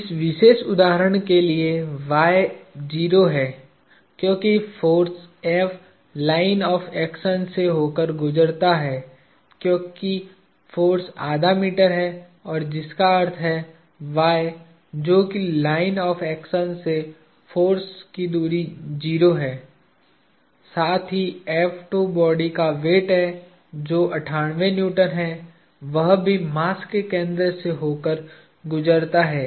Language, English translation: Hindi, y for this particular instance is 0 because the force F passes through the line of action because the force is half a meter which implies y, which is the distance of the force to the line of actions itself is 0; plus F2 which is the weight of the body which is 98 Newtons also passes through the center of mass